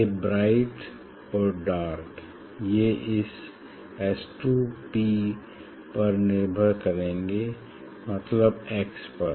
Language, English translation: Hindi, this b and dark that will depend on this S 2 P means on this x